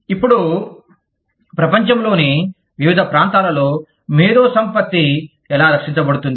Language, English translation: Telugu, Now, how intellectual property is protected, in different parts of the world